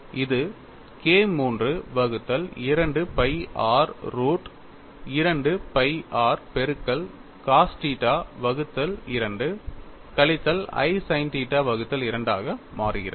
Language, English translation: Tamil, So that turns out to be K 3 by 2 pi r root of 2 pi r multiplied by cos theta by 2 minus i sin theta by 2